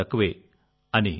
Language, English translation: Telugu, The hassle is also less